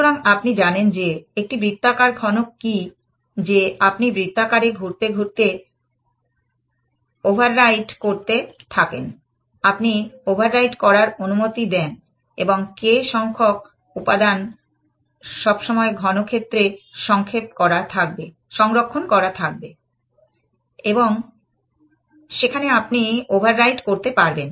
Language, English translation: Bengali, So, you know what is a circular cube, that you keep overwriting as you go round and round the circle you allow to overwrite, but some k number of elements will always be stored in the cube, where you can you are allowed to overwrite